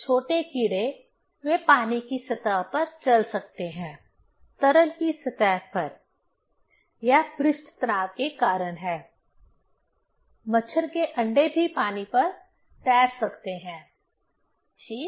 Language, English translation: Hindi, Small insects, they can walk on the surface of the water, on the surface of the liquid; that is because of the surface tension; also mosquito eggs can float on water, right